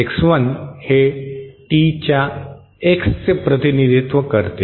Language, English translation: Marathi, X1 represents X of T